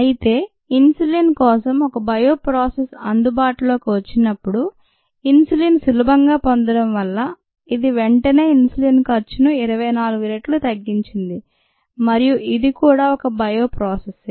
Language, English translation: Telugu, however, when a bioprocess for insulin became available because of the ease of getting insulin, this immediately reduced the cost of insulin by twenty four fold, and this is also a bioprocess